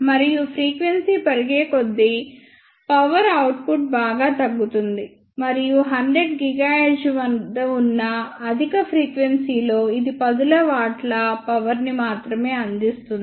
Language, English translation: Telugu, And as frequency increases power, output decreases drastically and at very high frequency that is at 100 gigahertz, it can provide only tens of watts of power